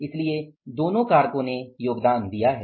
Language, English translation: Hindi, So, both the factors have contributed